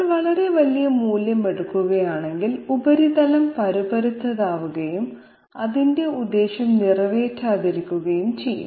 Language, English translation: Malayalam, If we take a very large value, the surface will appear jagged and might not serve its purpose